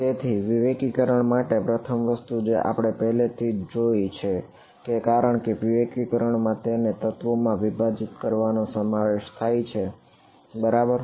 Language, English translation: Gujarati, So, for discretization the first thing that we have to that we have already seen as discretization involves splitting it into elements right